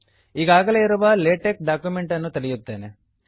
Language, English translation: Kannada, Let me open an already existing LaTeX document